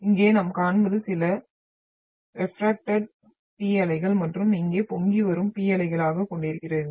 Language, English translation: Tamil, And here what we see are some of the P waves are refracted and you are having the P waves which are been raging here